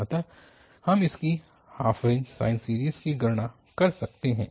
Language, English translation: Hindi, So, we can compute its half range sine series